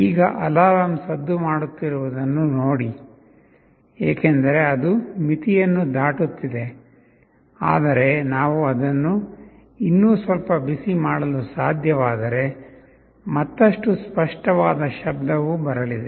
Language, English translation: Kannada, See this is alarm is sounding because it is just crossing threshold, but if we can heat it a little further then there will be a very clear sound that will be coming